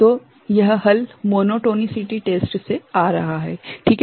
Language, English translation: Hindi, So, this is coming from monotonicity test ok